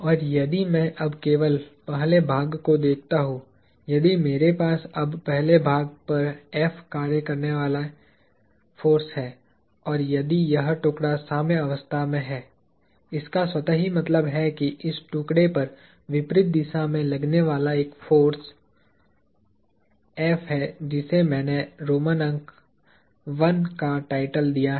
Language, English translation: Hindi, And, if I now look at just the first part; if I now have a force F acting on the first part and if this piece is in equilibrium; that automatically means that, there is an effective force F acting in the opposite direction on this piece that I have titled with Roman numeral I